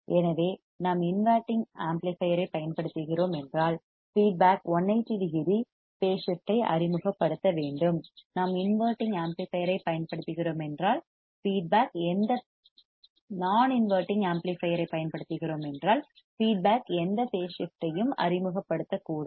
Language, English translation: Tamil, So, if we are using an inverting amplifier, feedback should introduce 180 degree phase shift; if we are using a non non inverting amplifier, feedback should not introduce any phase shift right